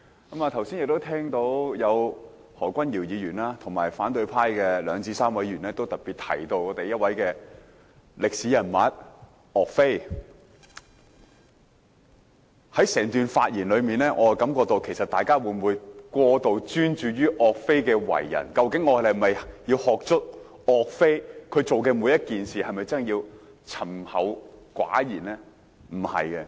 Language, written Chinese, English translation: Cantonese, 剛才聽到何君堯議員和反對派的三數位議員均在發言中特別提到一位歷史人物岳飛，但在他們整段發言中，我認為大家似乎過度專注岳飛的為人，究竟我們應否十足學習岳飛做每件事情的方式，以及沉厚寡言的性格？, I heard just now Dr Junius HO and three Members or so from the opposition camp particularly mentioned a historical figure YUE Fei in their speeches . Throughout their speeches however I think they seemed to be over - concentrated on how YUE Fai behaved . In fact shall we fully learn how YUE Fei coped with every matter and his reticent personality?